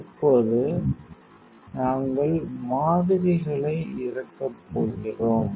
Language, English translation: Tamil, Now, we are going to unload the samples